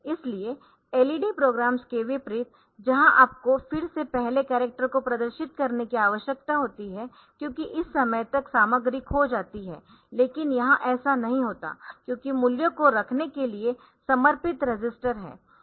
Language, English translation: Hindi, So, unlike LED programs where you need to again start displaying the first character because by this time the content is lost, but here it does not happen because there are dedicated register to hold the values